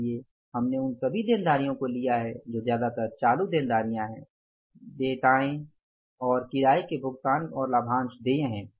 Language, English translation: Hindi, So, we have taken the all liabilities which are mostly current liabilities, accounts payables, rent payable and dividend payable